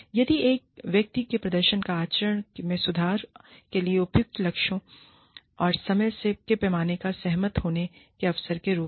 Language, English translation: Hindi, Then, as an opportunity, to agree to suitable goals and time scales, for improvement in an individual's performance or conduct